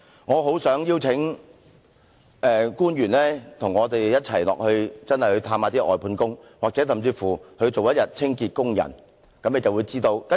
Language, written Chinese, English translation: Cantonese, 我很想邀請官員與我們一同探訪外判工，甚至當一天清潔工人，他們便會知道實情。, I am eager to invite public officers to pay a visit to the outsourced workers together with us or even work as a cleaning worker for a day and they will then get to know the true picture